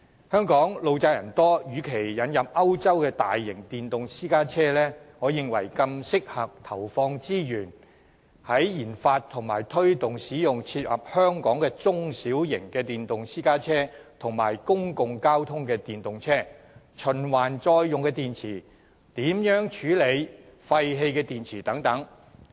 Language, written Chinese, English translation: Cantonese, 香港路窄人多，與其引入歐洲的大型電動私家車，我認為更適合的做法是投放資源研發和推動使用切合香港情況的中小型電動私家車和公共交通電動車，以及開發循環再用電池，並研究如何處理廢棄電池等。, Hong Kong is a city with narrow and crowded roads and instead of introducing electric private cars of a larger size from Europe I consider it more appropriate to invest resources in researching and developing small and medium electric private cars and electric public transport which can suit the local situation and promoting their use in Hong Kong . Efforts should also be made to develop rechargeable EV batteries and examine how we should dispose of waste batteries